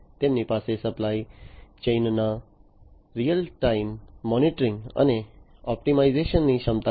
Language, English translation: Gujarati, And they have the capability of real time monitoring and optimization of the supply chain